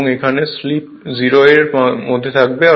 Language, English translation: Bengali, So, this is the part that slip is equal to 0